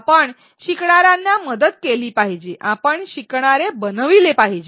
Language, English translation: Marathi, We should help learners we should make learners